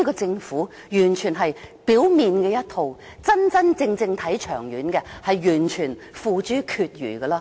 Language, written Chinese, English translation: Cantonese, 政府只做表面工夫，真真正正長遠的工作，卻付諸闕如。, The Government is only making some window - dressing gestures and no long - term plan has been made